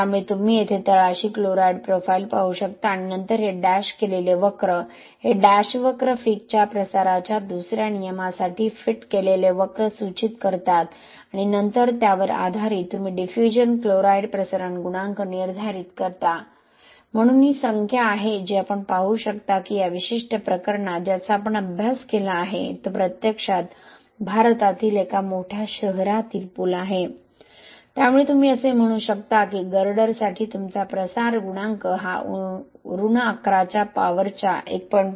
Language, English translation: Marathi, So you can see here on the bottom the chloride profiles and then these dashed curves, these dash curve indicates the fitted curve for the Fick’s 2nd law of diffusion and then based on that you determine the diffusion chloride chloride diffusion coefficient, so these are numbers which you can see, in this particular case which we studied it is actually a bridge in a major city in India, so you can say that for the girder your diffusion coefficient is this much about 1